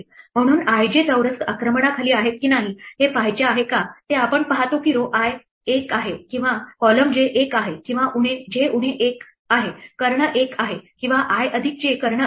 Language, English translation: Marathi, Therefore, we look for if we want to see if i j squares under attack we check whether it is row i is one or column j is 1 or j minus 1, diagonal is 1 or i plus j diagonal is 1